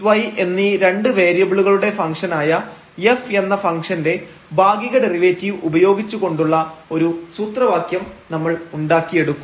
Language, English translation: Malayalam, But, we will find a direct formula which will use the partial derivatives of this function f which is a function of 2 variables x and y